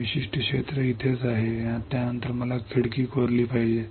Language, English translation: Marathi, This particular area is right over here right after this, I have to etch the window